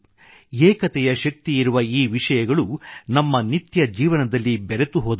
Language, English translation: Kannada, These elements with the strength of unity have been assimilated in our day to day lives